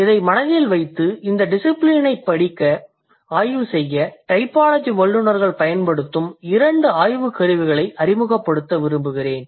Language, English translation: Tamil, So, keeping that in mind, I would like you to introduce a couple of research tools that typologists they deploy or the typologists they use to study this discipline